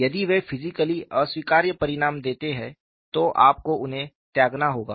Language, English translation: Hindi, If they yield physically unacceptable results, you have to discard them